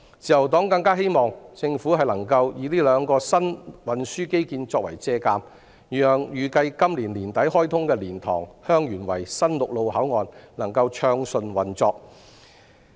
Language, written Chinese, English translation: Cantonese, 自由黨更加希望政府能以這兩個新運輸基建作借鑒，讓預計會在今年年底開通的蓮塘/香園圍新陸路口岸能夠暢順運作。, The Liberal Party also hopes that the Government can learn from the experience with these two new transport infrastructure facilities so that we can see the smooth operation of the new land boundary control point at LiantangHeung Yuen Wai which is scheduled to be commissioned at the end of this year